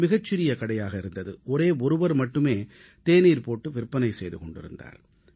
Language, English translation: Tamil, It was a tiny joint; there was only one person who would make & serve tea